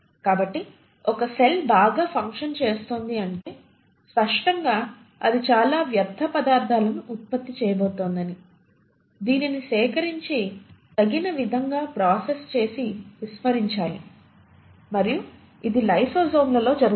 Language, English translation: Telugu, So if a cell is doing so much of a function, obviously it is going to produce a lot of waste matter which needs to be collected and appropriately processed and discarded and that happens in lysosomes